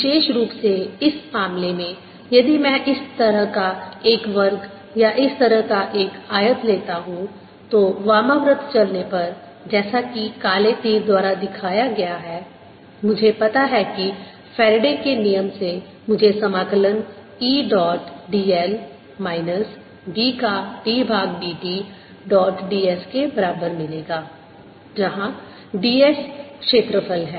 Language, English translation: Hindi, in particular, in this case, if i take a square like this, or ah rectangle like this, traveling or traversing it counter clockwise, as shown these by black arrows, i know that by faradays law i am going to have integral e dot d l is equal to minus d by d t of b dot d s, where d s is the area in now, since e is in only y direction